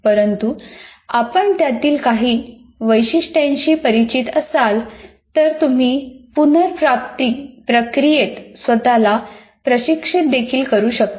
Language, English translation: Marathi, But some features of that, if you are familiar with that, then possibly you can also train yourself in the retrieval process